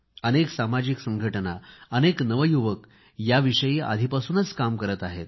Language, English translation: Marathi, Many social organizations and many youth are already observing this in practice